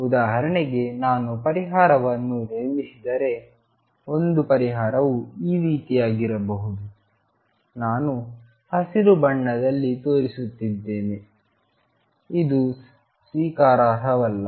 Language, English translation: Kannada, For example, if I build up the solution one solution could be like this, I am showing in green this is not acceptable